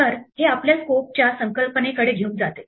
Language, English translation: Marathi, So, this brings us to a concept of Scope